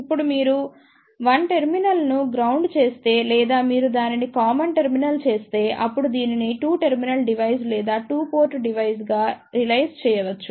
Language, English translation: Telugu, Now if you make 1 terminal is grounded or you make it as common; then this can be realize as a 2 terminal device or a 2 port device